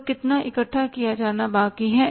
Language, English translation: Hindi, So, how much is left to be collected